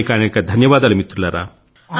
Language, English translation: Telugu, Thanks a lot my friends, Thank You